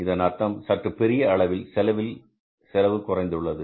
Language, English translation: Tamil, So, it means this is a serious reduction in the cost